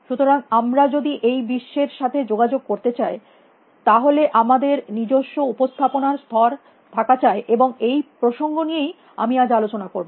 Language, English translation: Bengali, So, if you want to interact with the world, we need to have our own level of presentation, and this is what I am going to be driving at today